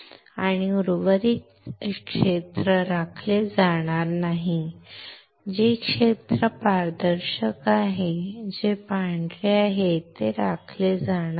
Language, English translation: Marathi, And rest of the area will not be retained, the area which is transparent, which is white, will not be retained